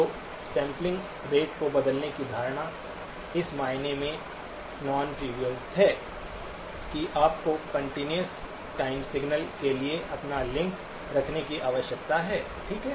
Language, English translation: Hindi, So the notion of changing the sampling rate is non trivial in the sense that you need to keep your link to the continuous time signal, okay